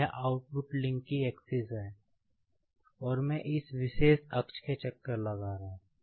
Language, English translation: Hindi, This is the axis of the output link, and I am taking this rotation about this particular axis